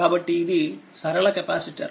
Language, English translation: Telugu, So, it is a linear capacitor